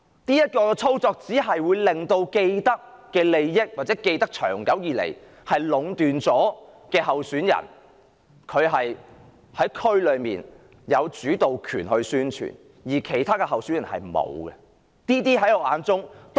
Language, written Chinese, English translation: Cantonese, 這種操作只會令既得利益者或長期壟斷利益的候選人，在社區中有主導權進行宣傳，而其他候選人卻沒有。, This has resulted in candidates having vested interests or monopolizing benefits over extended period getting an upper hand in publicity within the community when compared to other candidates